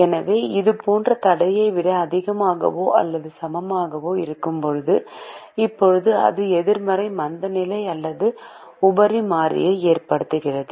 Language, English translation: Tamil, so when we have a greater than or equal to the constraint, like this, now that would result in a negative slack or a surplus variable